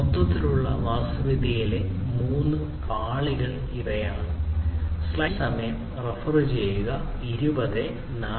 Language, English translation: Malayalam, So, these are the three layers in the overall architecture